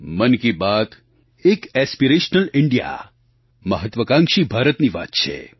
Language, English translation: Gujarati, Mann Ki Baat addresses an aspirational India, an ambitious India